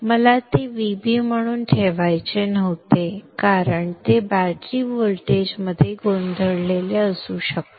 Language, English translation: Marathi, I didn't want to put it as VB because it may be confused with battery voltage